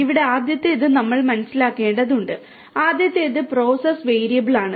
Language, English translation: Malayalam, The first one over here is we need to understand the first one is the Process Variable